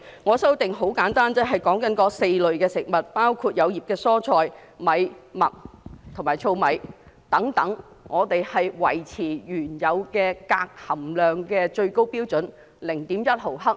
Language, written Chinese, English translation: Cantonese, 我的修訂很簡單，便是對於這4類食物，包括葉菜類蔬菜、精米、小麥和糙米，我們要維持原有最高鎘含量標準 0.1 毫克。, My amendment is simple in that it proposes to maintain the original maximum level of cadmium content at 0.1 mg for four categories of food including leafy vegetables polished rice wheat and husked rice